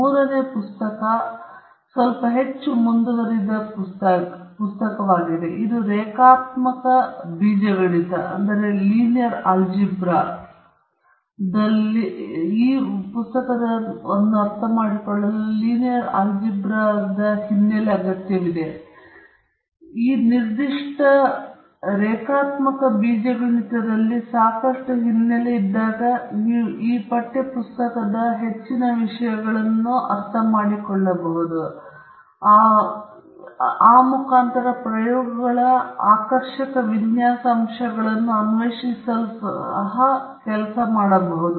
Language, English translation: Kannada, The third book is a slightly more advanced one; it requires a background in linear algebra, and with sufficient background in this particular linear algebra you can work through most of the contents in the text book, and discover the fascinating aspects of design of experiments